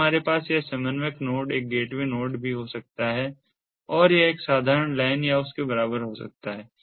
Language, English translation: Hindi, then we have this coordinator node can be a gate way node also, and this can be a simple local area network, a simple local area network or local area network equivalent